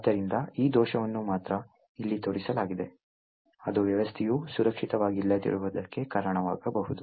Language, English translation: Kannada, Therefore, it is only this particular flaw, which is shown over here that could lead to a system being not secure